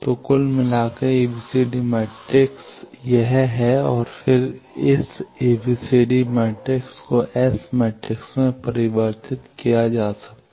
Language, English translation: Hindi, So, overall ABCD matrix is this and then this ABCD matrix can be converted to S matrix by going like that